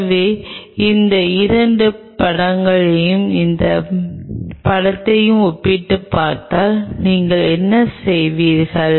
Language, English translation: Tamil, So, what you if you compare these 2 this picture and this picture compare if you compare these 2 pictures